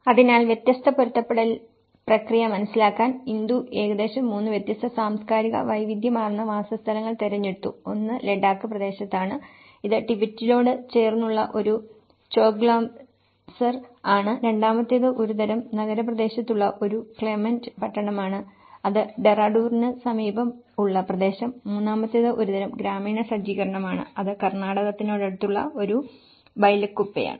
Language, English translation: Malayalam, So, in order to understand different adaptation process Indu have selected about 3 different culturally diverse settlements, one is in Ladakh area, it is a Choglamsar which is close to the Tibet, the second one is a Clement town which is in a kind of urban locality near Dehradun and the third one is a kind of rural setup which is a Bylakuppe where it is near Karnataka